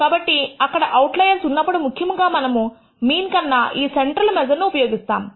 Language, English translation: Telugu, So, when there are outliers typically we would like to use this as a central measure rather than the mean